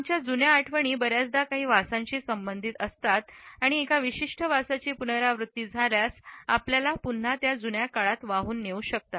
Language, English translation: Marathi, Our old memories often are associated with certain smells and the repetition of a particular smell may carry us backward in time